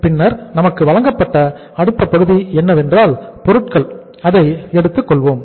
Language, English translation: Tamil, And then next item given to us is that is the we have taken the material